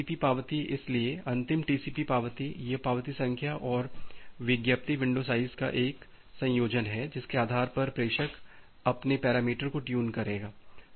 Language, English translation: Hindi, Now TCP acknowledgement; so, the final TCP acknowledgement it is a combination of the acknowledgement number and the advertised window size, based on that the sender will tune its parameter